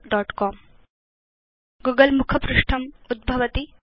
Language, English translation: Sanskrit, The google home page comes up